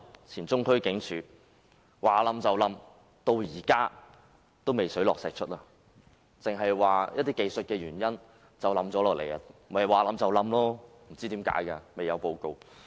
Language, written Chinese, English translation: Cantonese, 前中區警署的外牆倒塌事故，至今仍未水落石出；古蹟辦只表示出於一些技術問題倒塌，未有發表報告述明原因。, Regarding the incident concerning the collapse of the external wall of the former Central Police Station Tai Kwun the truth has not been brought to light even now . AMO simply said that the collapse was due to some technical problems and it has not issued any report to explain the reasons